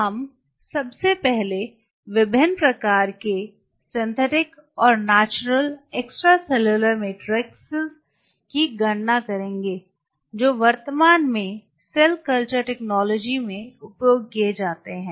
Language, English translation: Hindi, Today what we will do; we will first of all enumerate the different kind of synthetic and natural extracellular matrix which are currently being used in the cell culture technology